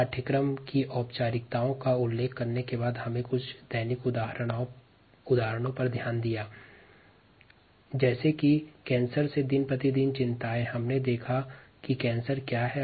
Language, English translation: Hindi, after ah, mentioning the formalities of the course, we looked at some ah day to day examples ah such as cancer, ah concerns day to day concerns cancer